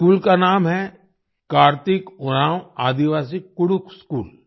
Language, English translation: Hindi, The name of this school is, 'Karthik Oraon Aadivasi Kudukh School'